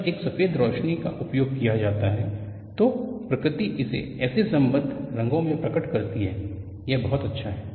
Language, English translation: Hindi, When a white light is used, the nature reveals it in such rich colors;so nice